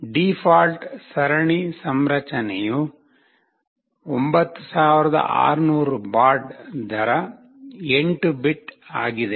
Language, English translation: Kannada, The default serial configuration is 9600 baud rate an 8 bits